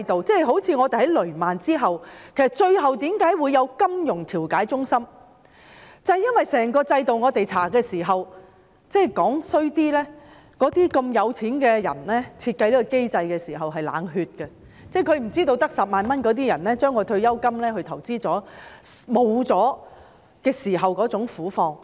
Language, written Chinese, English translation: Cantonese, 正如政府在雷曼事件後成立了金融調解中心，這是因為我們在調查期間發現，整個制度——說得難聽一點——富裕人士設計這個機制的時候是冷血的，他們不知道只有10萬元的人將退休金用作投資，當他們失去這筆錢時的苦況。, Another example is the setting up of the Financial Dispute Resolution Centre by the Government after the Lehman Brothers incident . It is because during the inquiry we found that the whole system―to put in bluntly―the wealthy people were cold - blooded when they designed such a mechanism . They did not know how harsh it would be when people with a pension of only 100,000 made investments with it and lost this sum of money